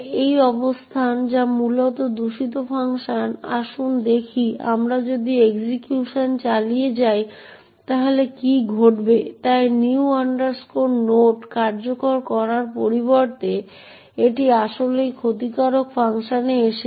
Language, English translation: Bengali, Let us see if we continue the execution what would happen, so right enough instead of executing new node it has indeed come into the malicious function